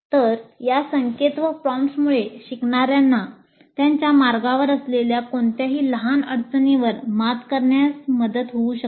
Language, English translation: Marathi, So these cues and prompts are supposed to help the learners overcome any minor stumbling blocks which exist in their path